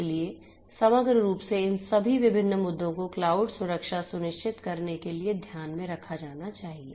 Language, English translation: Hindi, So, holistically all of these different issues will have to be taken into consideration for ensuring cloud security